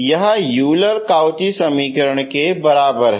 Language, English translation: Hindi, So this is on par with the Euler Cauchy equation